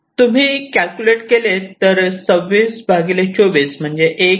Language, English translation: Marathi, so if you calculate, it comes to twenty six by twenty